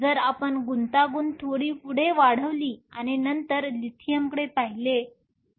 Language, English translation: Marathi, What if we increase the complexity a bit further and then look at Lithium